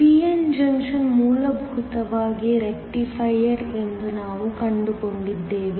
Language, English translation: Kannada, We found that a p n junction is essentially a Rectifier